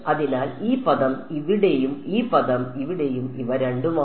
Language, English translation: Malayalam, So, this term over here and this term over here these are both